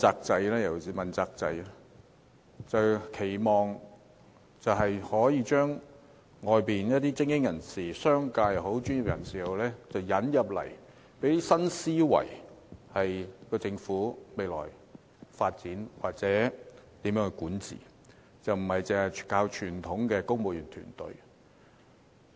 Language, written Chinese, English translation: Cantonese, 政府期望透過問責制，引入外界精英人士，包括商界人士、專業人士，為香港未來發展或政府管治帶來新思維，而非單靠傳統的公務員團隊。, The Government intends to through the accountability system invite outside elite including members of the commercial sector and professionals to join the Government so as to bring in new thoughts to facilitate future development or governance of Hong Kong rather than merely rely on the traditional civil service